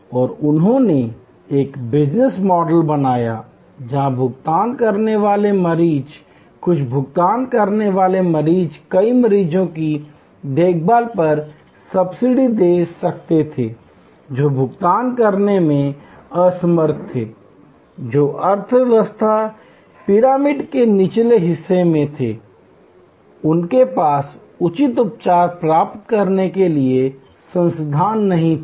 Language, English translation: Hindi, And he created a business model, where the paying patients, few paying patients could subsidize many patients care, who were unable to pay, who were at the bottom of the economy pyramid, they did not have the resources to get proper treatment